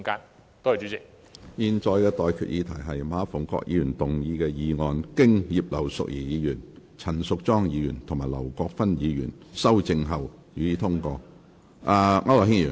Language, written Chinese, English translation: Cantonese, 我現在向各位提出的待決議題是：馬逢國議員動議的議案，經葉劉淑儀議員、陳淑莊議員及劉國勳議員修正後，予以通過。, I now put the question to you and that is That the motion moved by Mr MA Fung - kwok as amended by Mrs Regina IP Ms Tanya CHAN and Mr LAU Kwok - fan be passed